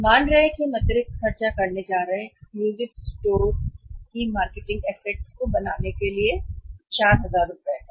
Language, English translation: Hindi, We are assuming that we are going to spend extra 4000 rupees to create the marketing assets of the exclusive stores